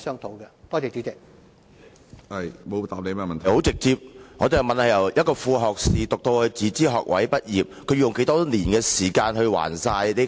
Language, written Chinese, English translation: Cantonese, 主席，我的質詢十分直接，我問局長，年輕人由副學士學位唸至自資學位畢業，要用多少年時間還清學債？, President my question was very straightforward . I asked the Secretary how many years young people would need to spend repaying student debts after taking dub - degrees until graduation from self - financing degrees